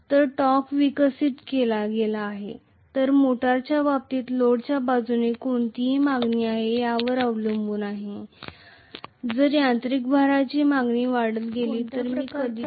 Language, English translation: Marathi, So the torque developed is going to depend upon what is the demand from the load side in the case of a motor, if the mechanical load demand increases I am going to have more and more current